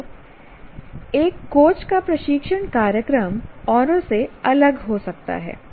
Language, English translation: Hindi, So, a coach's training program can be different from somebody else's